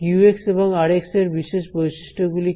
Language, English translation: Bengali, q and r what will their order be